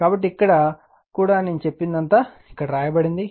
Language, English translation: Telugu, So, here also everything is whatever I said everything is written here right